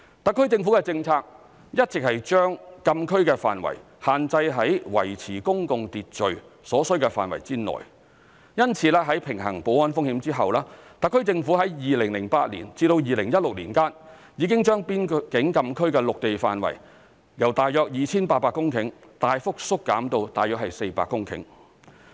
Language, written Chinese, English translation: Cantonese, 特區政府的政策一直是將禁區的範圍限制於維持公共秩序所需的範圍內，因此，在平衡保安風險後，特區政府已於2008年至2016年間，已將邊境禁區的陸地範圍由約 2,800 公頃大幅縮減至約400公頃。, It has been the SAR Governments policy all along to limit the extent of closed areas to that required in maintaining public order . Thus after balancing the security risks the SAR Government has significantly reduced the land area of closed areas from about 2 800 hectares to about 400 hectares from 2008 to 2016